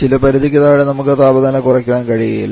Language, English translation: Malayalam, So there are certain limits below which we cannot lower the temperature